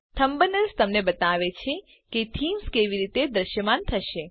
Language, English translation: Gujarati, The thumbnails show you how the themes would appear